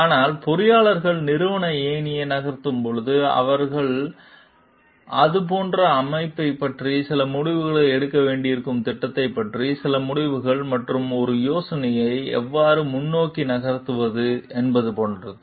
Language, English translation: Tamil, But, as the engineer moves up the organizational ladder and maybe he has to take certain decisions about the like organization some decision about the project and like how to like move an idea forward